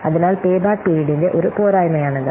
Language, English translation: Malayalam, So this is one of the drawback of the payback period